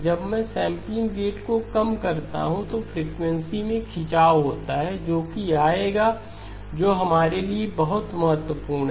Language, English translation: Hindi, When I reduce the sampling rate, there is a stretching in frequency that will come that is very important for us